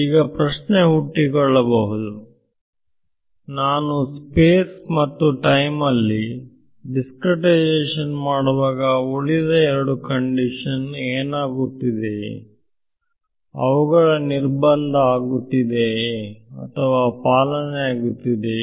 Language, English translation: Kannada, So, the actual question comes is when I am doing this discretization in space and time, what happens to the other conditions are they beings violated or are they being respected right